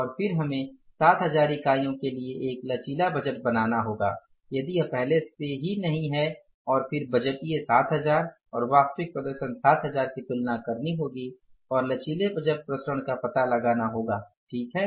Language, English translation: Hindi, And then we will have to create a flexible budget for 7,000 units if it is already not in place and then make a comparison of the budgeted 7,000 and actual 7,000 performance and find out the flexible budget variances right